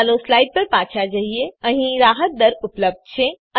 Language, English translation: Gujarati, Let us go back to the slides, There are concessional rates available